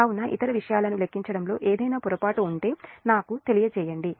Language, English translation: Telugu, so if there is any mistake in calculation other things, just let me know